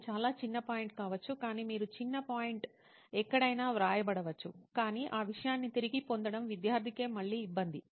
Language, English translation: Telugu, It might be a very small point but you are getting the small point might be written anywhere, but to find out to retrieve that thing is again it is a hassle for the student itself